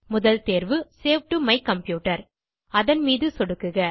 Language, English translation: Tamil, Choose the first option Save to my computer